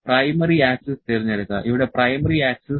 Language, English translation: Malayalam, Select the primary axis, the primary axis here the primary axis